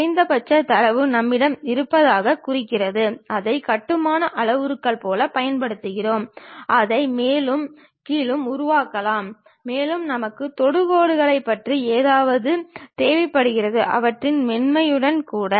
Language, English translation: Tamil, The minimum data points what we have those we will use it like control parameters to make it up and down kind of things and we require something about tangents, their smoothness also